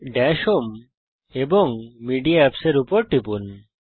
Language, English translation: Bengali, Click on Dash home Media Applications